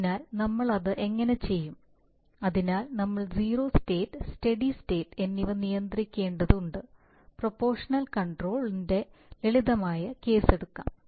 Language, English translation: Malayalam, So how do we do that, so we have to control for zero state, steady state, let us take simplest case of proportional control